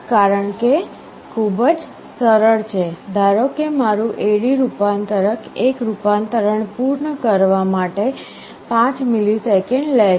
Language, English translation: Gujarati, The reason is very simple, suppose my A/D converter takes 5 milliseconds to complete one conversion